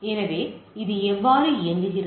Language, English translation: Tamil, So, how it works